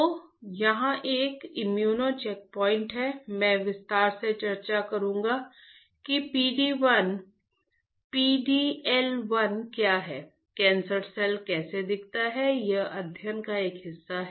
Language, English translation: Hindi, So, it is a immuno check points I will discuss in detail what is PD 1, PD L1, how the cancer cell looks like that is a part of study